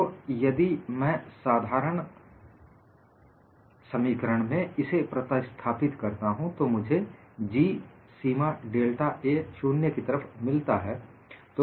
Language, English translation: Hindi, So, if I substitute it in the general expression, I get this as G in the limit delta A tends to 0